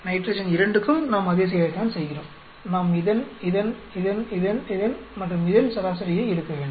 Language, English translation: Tamil, For nitrogen 2 also we do the same thing we have to the average of this, this, this, this, this, this and this now like that